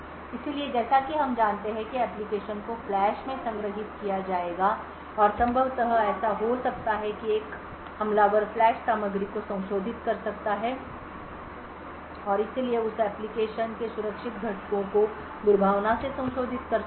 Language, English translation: Hindi, So, as we know that the application would be stored in the flash and what could possibly happen is that an attacker could modify the flash contents and therefore could modify the secure components of that application the function maliciously